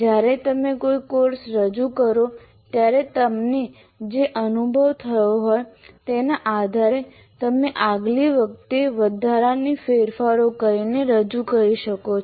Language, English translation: Gujarati, That is based on the experience that you have when you offer a course, you can go back and next time you offer you can make the incremental modifications to that